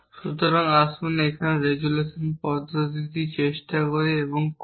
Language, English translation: Bengali, So, let us try and do the resolution method here